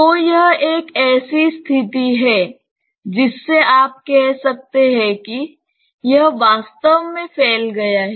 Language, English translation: Hindi, So, this is a condition from which you can say that it has actually spilled out